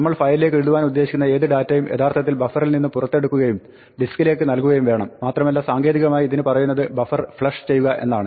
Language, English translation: Malayalam, Any data we want to write to the file is actually taken out to the buffer and put on to the disk and this technically called flushing the buffer